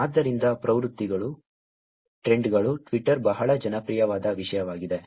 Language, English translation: Kannada, So, trends; trends is something that Twitter made very popular